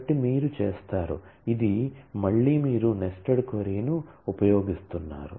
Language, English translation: Telugu, So, you do, this is again you are using nested query